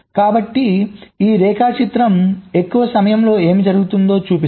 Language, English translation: Telugu, so this diagram shows, in the excess of time, what happens from left to right